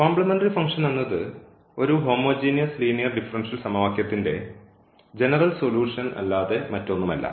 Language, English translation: Malayalam, So, that will be the general solution of the given homogeneous differential equation